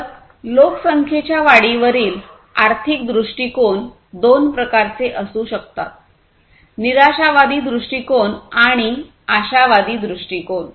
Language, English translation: Marathi, So, economic view on the population growth can be of two types: pessimistic view and optimistic view